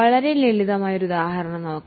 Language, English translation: Malayalam, Let us take one very simple example